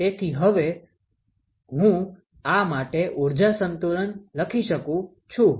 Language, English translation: Gujarati, So now, I can write a energy balance for this